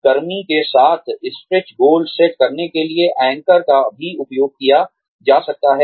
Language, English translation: Hindi, Anchors can also be used, to set stretch goals, with the worker